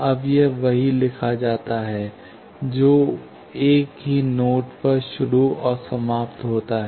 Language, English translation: Hindi, Now, that is what is written, a path starting and ending on the same node